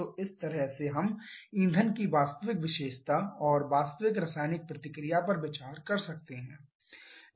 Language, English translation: Hindi, So, this way we can consider the real characteristic of the fuel and the real chemical reaction